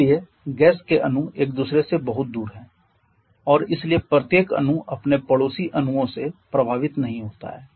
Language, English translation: Hindi, So, that gas molecules are far apart from each other and therefore each molecule is not at all influenced by its neighbouring molecules